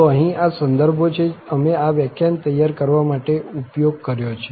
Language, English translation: Gujarati, So, here these are the references, we have used for preparing this lecture